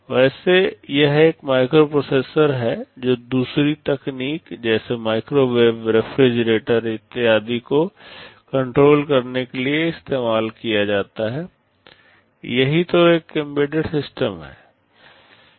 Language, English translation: Hindi, Well it is a microprocessor used to control another piece of technology like ac machine, like microwave, like refrigerator and so on, this is what an embedded system is